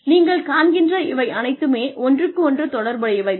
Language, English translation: Tamil, All of these things as you can see are interrelated